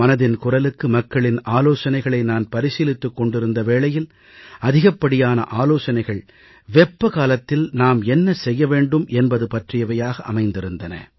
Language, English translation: Tamil, So, when I was taking suggestions for 'Mann Ki Baat', most of the suggestions offered related to what should be done to beat the heat during summer time